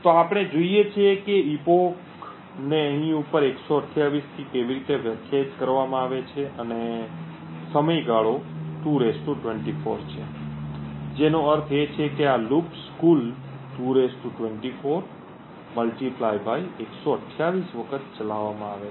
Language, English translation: Gujarati, So, we look at how the epoch is defined which is defined to 128 over here as seen over here and the time period is 2 ^ 24 which means that these loops are run for a total of (2 ^ 24) * 128 times